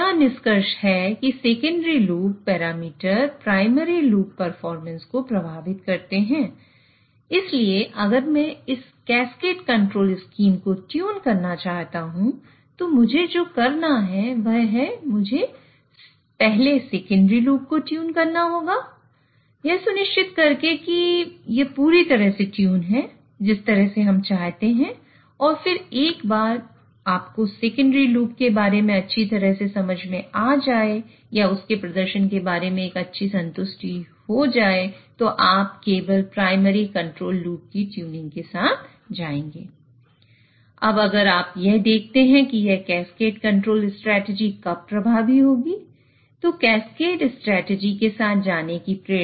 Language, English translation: Hindi, So that is why if I want to tune this cascade control scheme, what I would have to do is I would have to first tune the secondary loop, make sure it is perfectly tuned the way we want and then once you have a good enough understanding or good enough satisfaction about the performance of secondary loop, then only you will go with tuning of the primary control loop